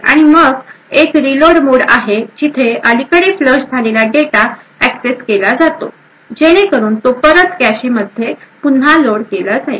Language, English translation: Marathi, And then there is a reload mode where the recently flush data is accessed taken so that it is reloaded back into the cache